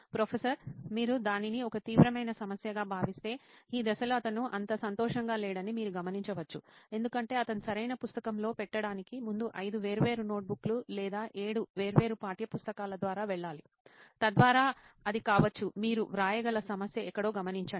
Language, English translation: Telugu, If you consider that to be a serious problem you can note that down saying during this step he is not so happy because he has to go through five different notebooks or seven different textbooks before he can land up on the right book, so that could be a problem that you can write, note down somewhere